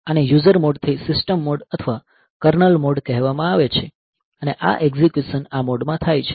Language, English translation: Gujarati, So, this is called user mode to system mode or kernel mode and this execution is done in this mode ok